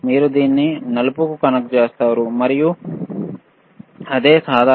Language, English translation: Telugu, You connect it to black, and common is same,